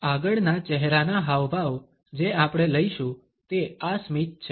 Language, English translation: Gujarati, The next facial expression which we shall take up is this smile